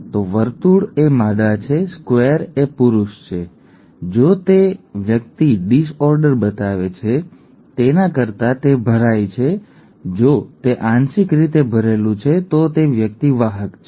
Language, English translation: Gujarati, So circle is a female, square is a male, if it is filled than the person is showing the disorder, if it is partly filled then the person is a carrier, okay